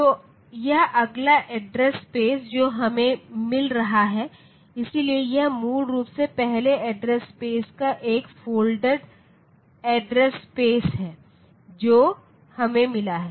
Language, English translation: Hindi, So, this is the next address space that we are getting, so this is basically a folded address space of the first the first address space that we have got